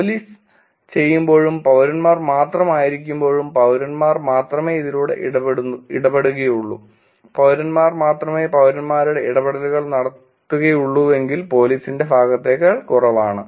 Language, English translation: Malayalam, When police does and only citizens, citizens only interact it's higher and when citizens does only citizens interactions of the comments are also lower than the police side